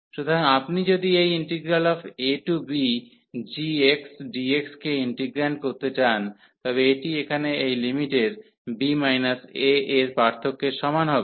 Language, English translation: Bengali, So, if you want to integrate this a to b g x dx, this will be equal to this difference here of the limit so b minus a